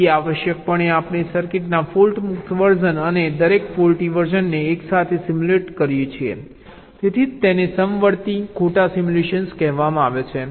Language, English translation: Gujarati, so essentially we simulate the fault free version of the circuit and each of the faulty version concurrently